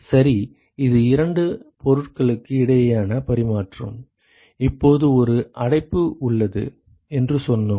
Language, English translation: Tamil, Ok so this is exchange between two objects, now we said there is an enclosure right